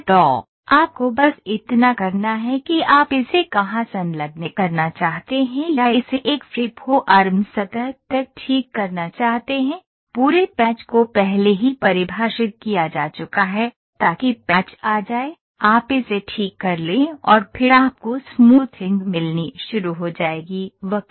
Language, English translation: Hindi, So, all you have to do is wherever you wanted to attach it or fix it up to a to a free form surface, the entire patch has been already defined, so that patch comes, you fix it up and then you start getting the smoothing of the curve